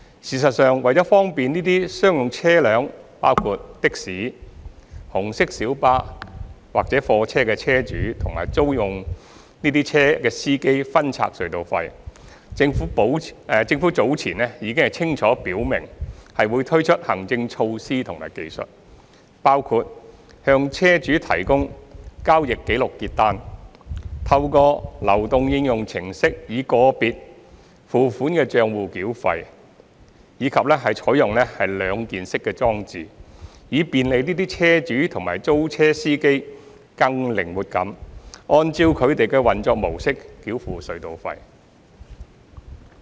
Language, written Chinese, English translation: Cantonese, 事實上，為方便這些商用車輛，包括的士、紅色小巴或貨車的車主及租用這些車輛的司機分拆隧道費，政府早前已清楚表明會推出行政措施和技術，包括向車主提供交易紀錄結單、透過流動應用程式以個別付款帳戶繳費，以及採用兩件式裝置，以便利這些車主及租車司機更靈活地按照他們的運作模式繳付隧道費。, Actually in order to facilitate the toll splitting among the owners and rentee - drivers of commercial vehicles which include taxis red minibuses and goods vehicles the Government has previously made it clear that it will introduce administrative measures and technologies including the provision of transaction statements to vehicle owners the mobile apps for the diversion of payment accounts and the adoption of two - piece device which will enable these vehicle owners and rentee - drivers to have more flexibility in making toll payment according to their operation mode